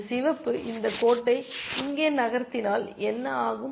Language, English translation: Tamil, What happens if this red moves this rook here